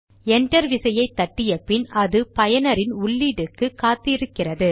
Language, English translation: Tamil, Now when we press enter the command waits for input from the user